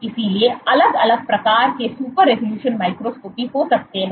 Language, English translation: Hindi, So, there can be separate different types of super resolution microscopy